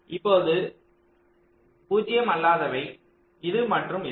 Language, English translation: Tamil, now the non zero ones are this and this